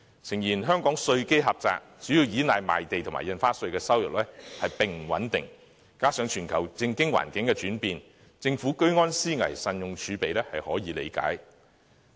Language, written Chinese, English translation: Cantonese, 誠然，香港稅基狹窄，主要依賴賣地和印花稅的收入並不穩定，再加上全球政經環境轉變，政府居安思危，慎用儲備是可以理解的。, Indeed the tax base in Hong Kong is narrow and government revenues unstable as they come mainly from land sales and stamp duties . Furthermore in view of the fickle global political and economic environment it is reasonable for the Government to prepare for rainy days and use our reserves with caution